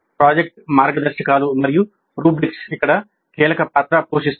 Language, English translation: Telugu, Project guidelines and rubrics play the key roles here